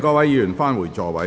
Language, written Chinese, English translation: Cantonese, 請議員返回座位。, Will Members please return to their seats